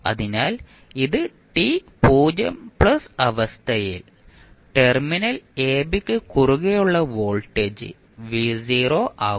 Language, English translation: Malayalam, So, it will at t 0 plus condition, the voltage across terminal ab will become v naught